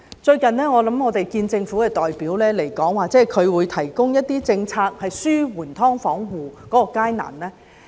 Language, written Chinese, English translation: Cantonese, 最近，政府代表來跟我們見面時指出，會提供一些政策紓緩"劏房戶"的困難。, Recently during a meeting with a government representative he said that some policies would be introduced to alleviate the difficulties of those tenants living in subdivided units